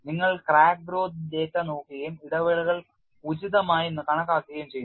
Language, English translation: Malayalam, You also look at crack growth data and then estimate the intervals appropriately